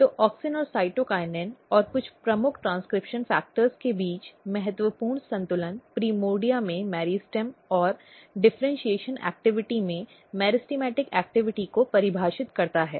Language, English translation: Hindi, So, the critical balance between auxin and cytokinin and some of the key transcription factors defines the meristematic activity in the meristem and differentiation activity in the primordia